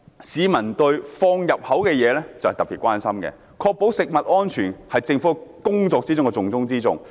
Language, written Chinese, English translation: Cantonese, 市民對食用的東西特別關心，確保食品安全是政府工作的重中之重。, Since the public are particularly concerned about the food that they eat ensuring food safety is the top priority of the Government